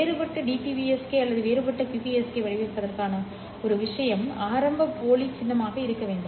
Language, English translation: Tamil, One thing for differential BPSK or for differential QPSK formats is that you need to have an initial dummy symbol